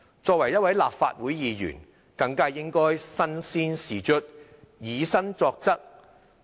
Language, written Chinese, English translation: Cantonese, 作為一個立法會議員，更應該身先士卒、以身作則。, As Legislative Council Members we should all the more lead by example